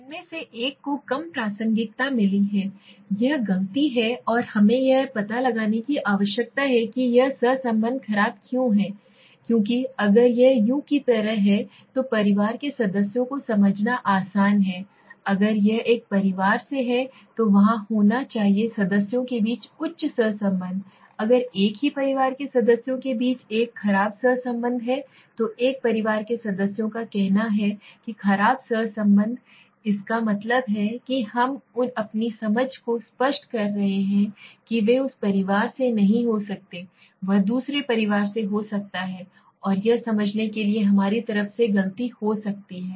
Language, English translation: Hindi, One of them have got less relevance it is the mistake and we need to find out why this correlation is poor, because if it s like u know simple to understands the members of the family, if it is from one family, then there has to be high correlation among the members, if there is a poor correlation among members of the same family one family let s say the members of one family then there is poor correlation , that means we have make our understanding clear that they might not be from that family, he might be from other family and this might be the mistake from our side to understand that